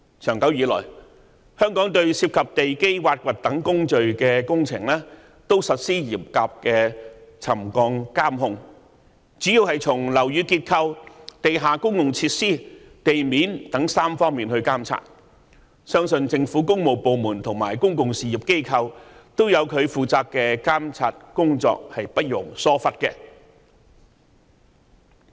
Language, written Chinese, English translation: Cantonese, 長久以來，香港對涉及地基挖掘等工序的工程也實施嚴格的沉降監控，主要是從樓宇結構、地下公用設施和地面等3方面進行監察，相信政府工務部門及公用事業機構都有各自進行監察工作，是不容疏忽的。, Stringent monitoring of settlement has long since been carried out on works processes involving the excavation of foundations in Hong Kong and such monitoring is carried out mainly in three areas that is building structure buried utilities and ground surface . I believe the works departments of the Government and utilities companies all carry out their respective monitoring and no neglect will be condoned